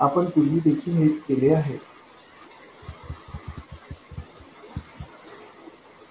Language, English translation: Marathi, This is exactly what we did earlier also